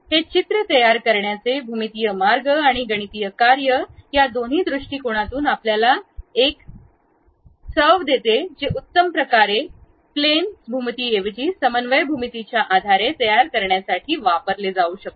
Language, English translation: Marathi, That gives you a flavor in terms of both geometrical way of constructing the pictures and mathematical functions which might be using to construct that more like based on coordinate geometry rather than plane geometry, great